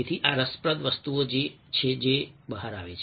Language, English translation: Gujarati, so these are interesting things